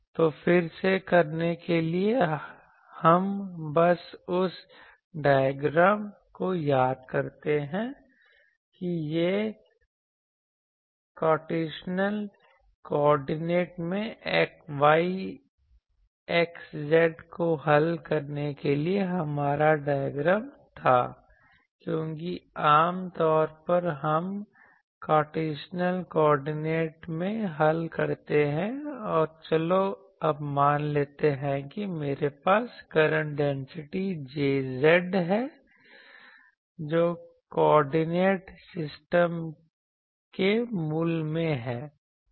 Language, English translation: Hindi, So, to do that again, we just recall the diagram that this was our diagram for solving the things y x z in Cartesian coordinate because source generally we solve in Cartesian coordinates and let us say that I have a current density Jz in this direction at the origin of the coordinate system